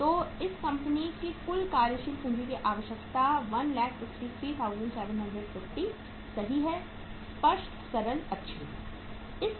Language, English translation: Hindi, So total working capital requirement of this company is 1,53,750 right, clear, simple, good